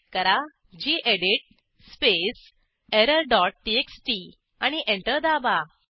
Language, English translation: Marathi, Type gedit space error dot txt and press Enter